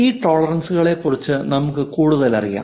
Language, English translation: Malayalam, Let us learn more about these tolerances